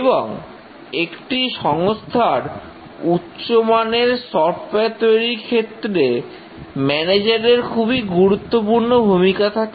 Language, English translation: Bengali, And the manager has a very important role in an organization producing quality software